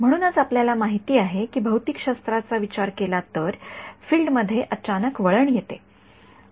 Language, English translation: Marathi, So, we know that that as far as physics is concerned there is an abrupt turns on the field